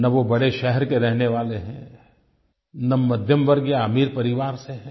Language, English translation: Hindi, He is not from a big city, he does not come from a middle class or rich family